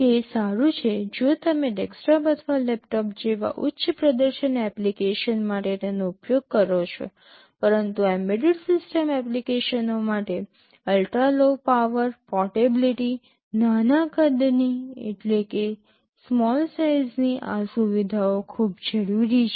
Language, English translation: Gujarati, It is fine if you use it for a high performance application like a desktop or a laptop, but not for embedded system applications were ultra low power, portability, small size these features are quite essential